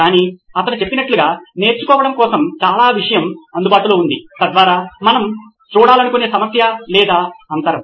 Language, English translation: Telugu, But there is a lot of content available like he mentioned for learning so that that is a problem or a gap that we want to look at